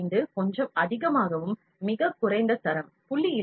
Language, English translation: Tamil, 15 is a little higher and the lowest quality is 0